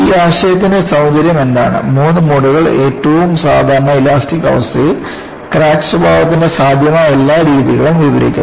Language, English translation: Malayalam, And, what is the beauty of this concept is that the three modes describe all the possible modes of crack behavior in the most general elastic state